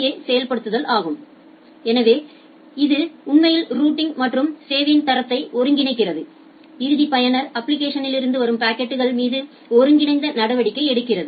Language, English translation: Tamil, So, that it is the entire ISA implementation inside a router that, actually integrates the routing and quality of service together makes a integrated treatment over the packets which are coming from the end user applications